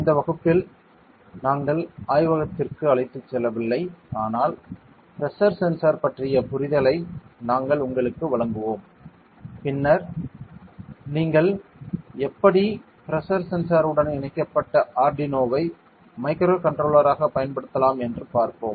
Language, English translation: Tamil, In this class I we are not taking into the lab, but we will kind of give you an understanding about the pressure sensor and then how can you use pressure sensor with Arduino as a microcontroller ok